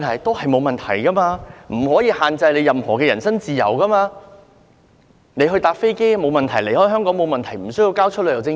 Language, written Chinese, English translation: Cantonese, 當局不可限制其人身自由，他乘搭飛機離開香港也沒有問題，也不需要交出旅遊證件。, The authorities cannot restrict his personal freedom; he can take a flight to leave Hong Kong and does not need to surrender his travel document